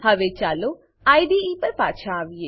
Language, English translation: Gujarati, Now let us come back to the IDE